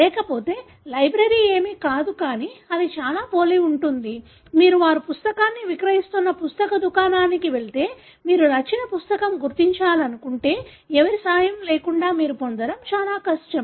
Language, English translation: Telugu, So otherwise, a library is nothing but it is very similar; if you go to a book shop where they are selling the book, if you want to identify a given book it is extremely difficult for you to get without anybody’s help